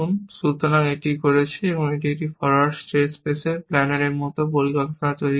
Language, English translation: Bengali, So, it is doing, it is constructing the plan like a forward state space planner